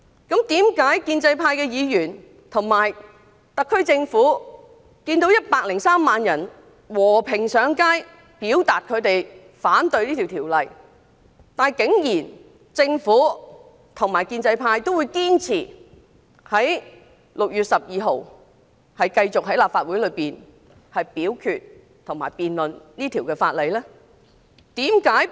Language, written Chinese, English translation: Cantonese, 建制派議員和特區政府看到103萬人和平上街表達反對這條例草案的意見，為何仍堅持在6月12日立法會大會上繼續就這條例草案進行審議及表決？, Given that 1.03 million people took to the streets peacefully in opposition to the bill how could the pro - establishment camp and SAR Government insist on scrutinizing and voting on the bill on 12 June at the Legislative Council meeting?